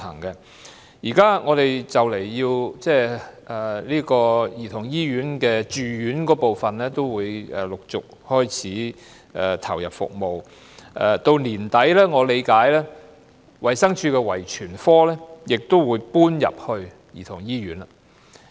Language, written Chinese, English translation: Cantonese, 現時香港兒童醫院住院部分已陸續投入服務，據我理據，衞生署的遺傳科在年底時也會搬到兒童醫院。, The inpatient service of the Hong Kong Childrens Hospital is now commencing by phases . As far as I understand the Clinical Genetic Service under the Department of Health will relocate to the Childrens Hospital by the end of the year